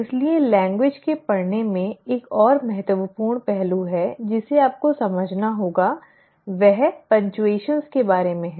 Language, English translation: Hindi, So there is another important aspect in the reading of language that you have to understand is about punctuations